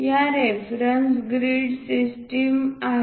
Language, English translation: Marathi, These are the reference grid system